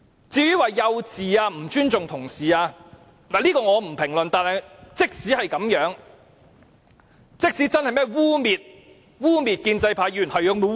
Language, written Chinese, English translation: Cantonese, 至於行為幼稚和不尊重同事，我不評論這些，但即使他真是這樣，即使他真的污衊了建制派議員，那又如何？, As regards the question of childish behaviour and disrespect for Honourable colleagues I will not comment on such things . But even if that is really the case with him and he has really besmirched Members of the pro - establishment camp so what?